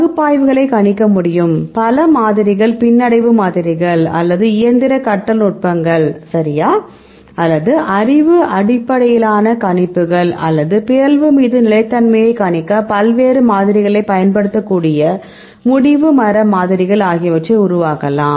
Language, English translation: Tamil, What we do the analysis then you can also predict, we can develop several models regression the models, or the machine learning techniques right, or the knowledge based predictions, or the decision tree models you can use various models to predict the stability upon mutation